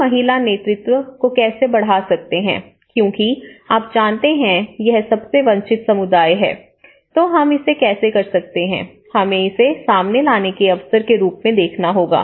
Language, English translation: Hindi, Because, how we can enhance the woman leaderships, you know because this is what most of the deprived communities, how we can, we have to take this as an opportunity to bring them into the frontline